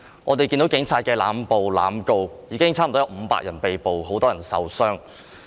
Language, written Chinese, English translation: Cantonese, 我們看到警察濫捕濫告，現已有接近500人被捕，也有很多人受傷。, The Police are making arbitrary arrests and instituting indiscriminate prosecutions . So far nearly 500 people have been arrested and many people have been injured